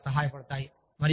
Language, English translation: Telugu, And, it is very helpful